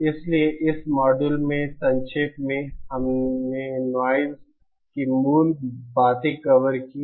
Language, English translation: Hindi, So in summary in this module, we covered basics of noise